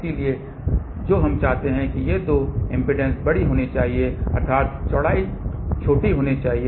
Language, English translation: Hindi, So, what we want is that these two impedances should be large that means, the width should be small